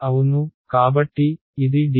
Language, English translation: Telugu, Yeah, so, dl is this